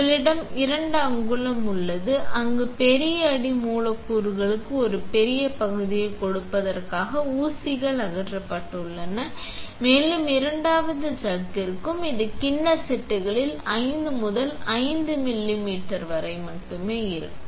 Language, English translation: Tamil, Then we have a 2 inch where the pins has been removed just to give a large area for large substrates and there should be a second chuck which is even smaller that is only like 5 by 5 millimeters into the bowl sets and these different drawers down here